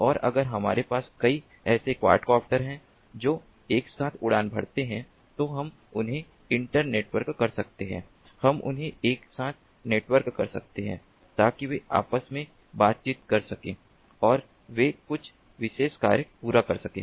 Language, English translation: Hindi, these quad copters could be acting as these flying objects and if we have a several such quad copters flying together, we can internetwork them, we can network them together so that they can communicate between themselves and they can go about accomplishing some missions